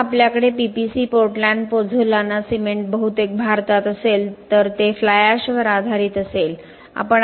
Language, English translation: Marathi, suppose we have PPC Portland Pozzolana Cement mostly in India it would be fly ash based